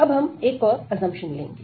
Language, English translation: Hindi, So, now we will make another assumption